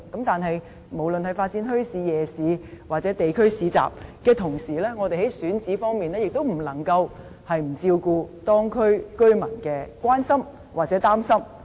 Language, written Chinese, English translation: Cantonese, 但是，無論是發展墟市、夜市或地區市集，在同一時間，我們在選址方面也不能不照顧當區居民的關注或憂慮。, However at the same time in developing bazaars night markets or local bazaars we cannot ignore the concerns or worries of local residents about the selected sites